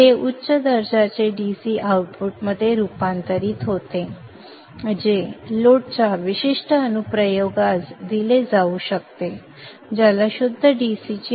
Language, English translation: Marathi, This gets transformed into a high quality DC output which can be fed to the particular application or the load which expects a POTC